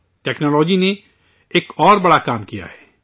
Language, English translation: Urdu, Technology has done another great job